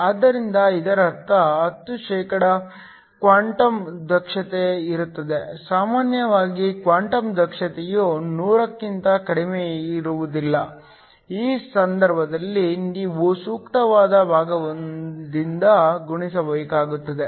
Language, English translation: Kannada, So this means there is a quantum efficiency of 100%, usually that is not the case the quantum efficiency would be lower than 100 in which case you will have to multiply by the appropriate fraction